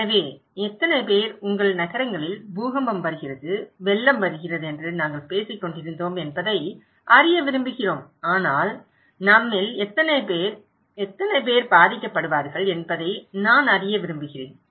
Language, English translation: Tamil, So, how many people, we will want to know that we were talking that earthquake is coming, flood is coming in your cities but I want to know that how and how many of us will be affected by that